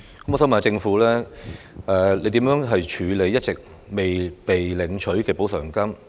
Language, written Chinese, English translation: Cantonese, 我想問，政府會如何處理一直未被領取的補償金？, I would like to ask how the Government will deal with the compensation monies that have not been claimed